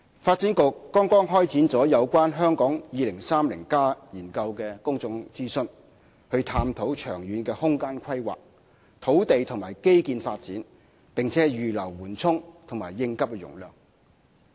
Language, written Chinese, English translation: Cantonese, 發展局剛剛開展了有關《香港 2030+： 跨越2030年的規劃遠景與策略》的公眾諮詢，以探討長遠的空間規劃、土地和基建發展，以及預留緩衝及應急容量。, The Development Bureau has just commenced a public consultation on Hong Kong 2030 Towards a Planning Vision and Strategy Transcending 2030 to explore the long - term spatial planning land and infrastructural development as well as the capacity of reservation for buffers and emergency use